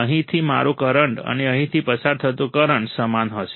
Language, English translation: Gujarati, My current through here, and that current through here would be same